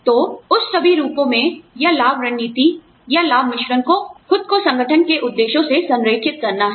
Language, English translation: Hindi, So, all of that forms, or the benefits strategy, the benefits mix, has to align itself, to the objectives of the organization